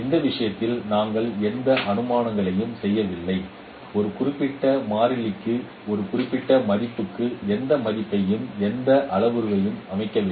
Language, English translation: Tamil, In this case we are not making any assumptions, we are not setting any value to a particular constant, to a particular value, any parameter